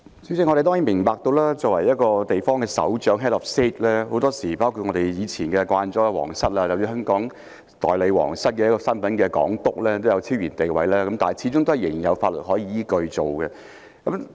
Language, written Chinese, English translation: Cantonese, 主席，我們當然明白，很多時候，作為一個地方的首長，包括我們從前習慣了的皇室或代表皇室的港督，都有超然地位，但始終仍有法律依據處理有關問題。, President we do understand that very often the heads of states including the royal family or its representative the Governor of Hong Kong once familiar to us all have a transcendent status but there is always a legal basis to deal with the issue in question